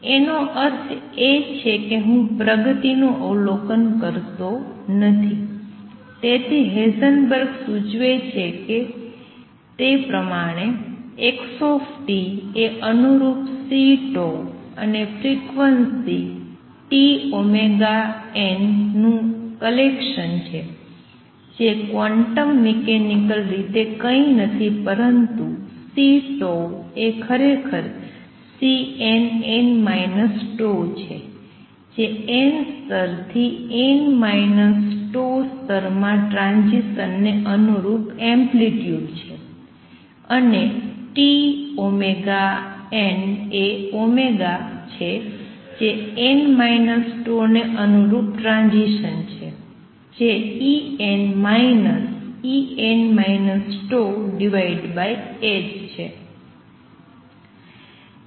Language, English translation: Gujarati, That means I do not observe the trajectory therefore, what Heisenberg proposes represent xt by collection of corresponding C tau and frequency tau omega n, which quantum mechanically are nothing but C tau is actually C n, n minus tau that is the amplitude corresponding to transition from n to n minus tau level, and tau omega n is nothing but omega corresponding to transition from n to n minus tau, which is equal to En minus E n minus tau divided by h cross